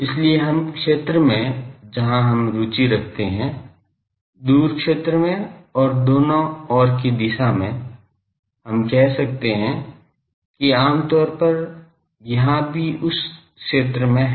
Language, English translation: Hindi, So, in this zones where we are interested, in the far zone and also in the both side direction, we can say that generally, is also here in that zone